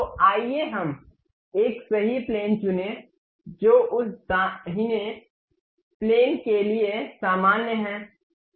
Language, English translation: Hindi, So, let us pick a right plane, normal to that right plane